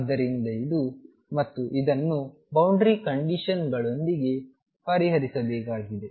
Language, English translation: Kannada, So, this is and this is to be solved with boundary conditions